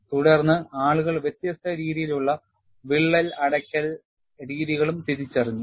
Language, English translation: Malayalam, Then, people also identified different modes of crack closure